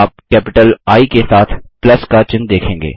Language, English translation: Hindi, You will see plus sign with a capital I